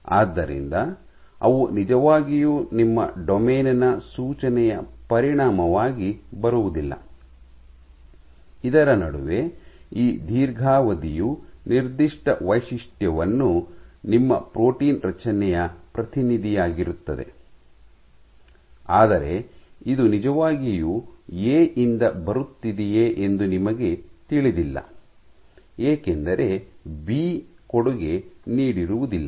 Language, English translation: Kannada, So, they do not really come as a consequence of your domain suggesting that, this long stretch in between is the signature which is representative of your protein construct, but you do not know whether this is really coming from A because B has not contributed